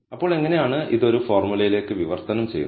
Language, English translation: Malayalam, So, how is it translated to a formula